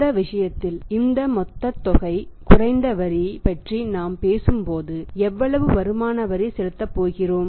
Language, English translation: Tamil, In this case the when we talk about this total amount then less tax how much tax is going to pay less income tax